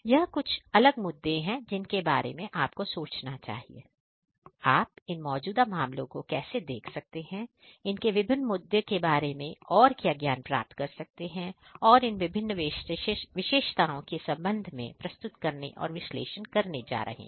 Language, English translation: Hindi, These are some of the different issues that you should think about how you can look at these existing these cases that we are going to present and analyze in respect of these different issues, these different attributes